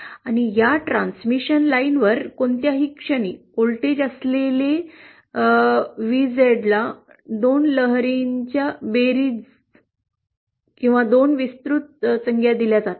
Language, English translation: Marathi, And VZ that is the voltage at any point along this transmission line is given as the sum of 2 waves, 2 exponential terms